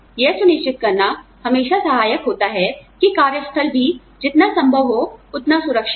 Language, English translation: Hindi, It is always helpful to ensure that, the workplace is also, as safe as, possible